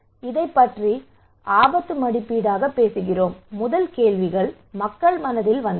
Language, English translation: Tamil, So we are talking about this one as risk appraisal the first questions came to peoples mind